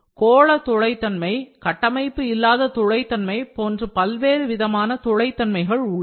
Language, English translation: Tamil, There are different kinds of porosities that can be spherical porosities, that can be unstructured porosity